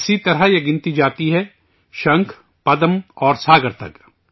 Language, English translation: Urdu, Similarly this number goes up to the shankh, padma and saagar